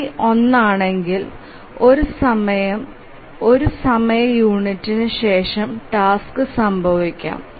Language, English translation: Malayalam, So if the GCD is one then then at most after one time unit the task can occur